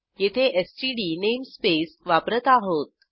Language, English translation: Marathi, Here we are using std namespace